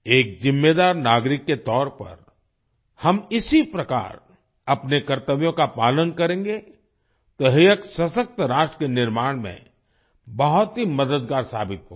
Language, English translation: Hindi, If we perform our duties as a responsible citizen, it will prove to be very helpful in building a strong nation